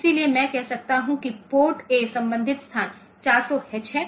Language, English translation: Hindi, So, I can say that port A is the corresponding location is 400H there may be many locations